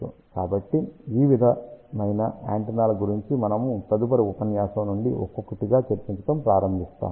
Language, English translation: Telugu, So, these various antennas we will start discussing one by one starting from next lecture, so